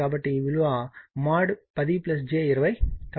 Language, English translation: Telugu, So, it will be mod 10 plus j 20